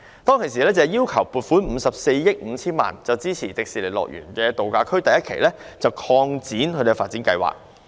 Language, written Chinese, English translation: Cantonese, 當時政府要求立法會撥款54億 5,000 萬元，支持樂園度假區第一期用地的擴建及發展計劃。, Back then the Government sought approval from the Legislative Council for a funding of 5.45 billion to support the Expansion and Development Plan at the Phase 1 site of the HKDL Resort